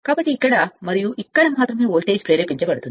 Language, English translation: Telugu, So, only voltage will be induced here and here